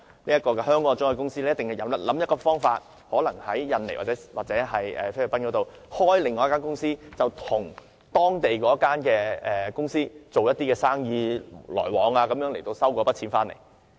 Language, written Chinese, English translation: Cantonese, 香港的中介公司必定會想方法，可能在印尼或菲律賓開設另一間公司，透過與該公司的生意往來收回那筆錢。, The agencies in Hong Kong will definitely think about ways to get around the law . They may set up another company in Indonesia or the Philippines to recover those fees through business dealings with this company